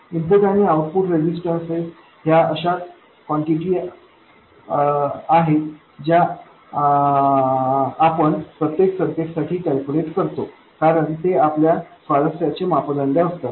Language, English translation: Marathi, The input and output resistances are quantities which you calculate for almost every circuit because those are parameters of interest